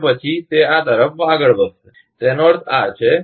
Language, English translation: Gujarati, After that, it will move to this; that means this